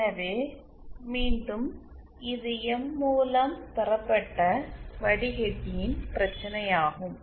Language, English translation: Tamil, So again this is the problem of the m derived filter as well